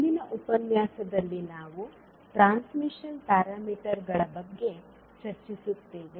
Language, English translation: Kannada, So in today’s session we will discuss about transmission parameters